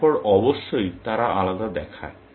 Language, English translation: Bengali, Then, of course, they look different